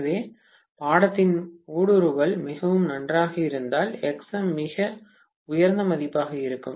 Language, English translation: Tamil, So if the permeability of the course is pretty good, Xm will be a very high value